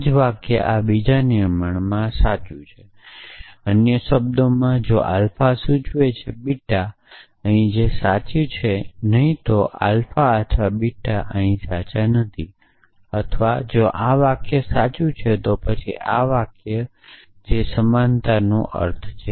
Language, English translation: Gujarati, The same sentence true in this in this second formulation, in other words if alpha implies beta is true here not alpha or beta will be true here or if this sentence is true, then this sentences that is a meaning of equivalence